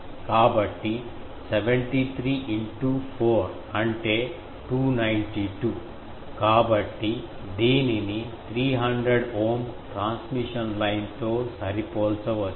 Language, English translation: Telugu, So, 73 in to 4 is 292, so it can be matched to a 300 Ohm transmission line ok